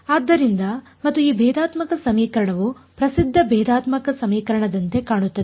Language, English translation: Kannada, So, and that differential equation looked like a well known differential equation which is